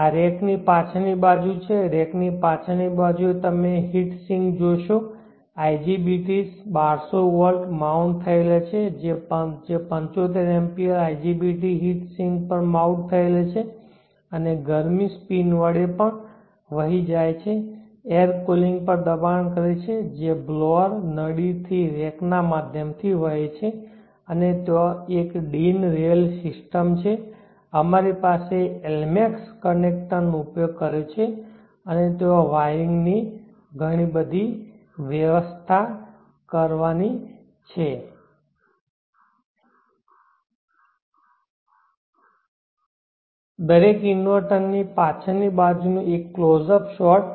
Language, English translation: Gujarati, This is the back side of the rack on the back side of the rack you see the heat sinks the IGBT’s or mounted 1200 volts 75 amps IGBT’s or mounted on the heat sink and the heat is dissipated through the spins plus also the force you forced cooling that is flowing through the rack by means of blower the duct and the blowers and there is a system and we have use the Elmax connector and there is the whole lot of wiring that one has to do